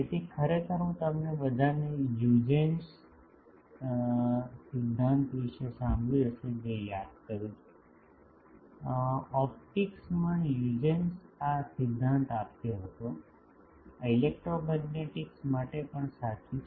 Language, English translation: Gujarati, So, actually I recall all of you have heard of Huygens principle, actually in optics Huygens gave this principle actually this is true for electromagnetics also